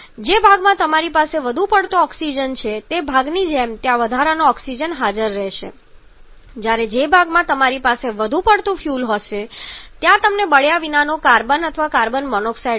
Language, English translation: Gujarati, Like the part where you are having too much oxygen present their surplus oxygen will remain whereas the part where you have too much fuel present there you are going to get unburned carbon or carbon monoxide